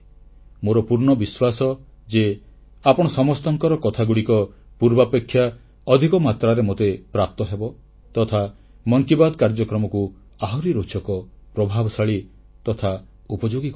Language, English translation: Odia, I firmly believe that your ideas and your views will continue reaching me in even greater numbers and will help make Mann Ki Baat more interesting, effective and useful